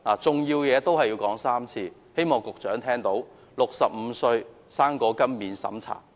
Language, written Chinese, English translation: Cantonese, 重要的事情要說3次，希望局長聽到 ："65 歲'生果金'免審查！, This important point must be repeated three times so that the Secretary can hear it clearly Fruit grant without means test for applicants aged 65!